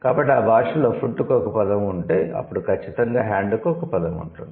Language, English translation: Telugu, So, if it has a word for the food, then for sure it has a word for the hand